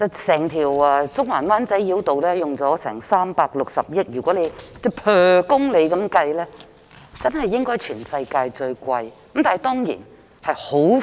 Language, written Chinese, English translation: Cantonese, 整條中環及灣仔繞道耗費360億元興建，若按每公里計算，應該是全球最昂貴的了。, The entire Central - Wan Chai Bypass which cost 36 billion to build should be the most expensive in the world per kilometre